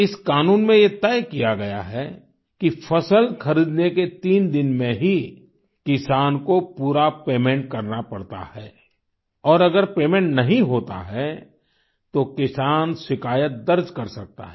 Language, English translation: Hindi, Under this law, it was decided that all dues of the farmers should be cleared within three days of procurement, failing which, the farmer can lodge a complaint